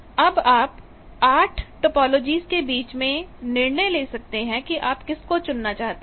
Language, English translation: Hindi, Now, you can decide 8 possible topologies and so this you see that if you choose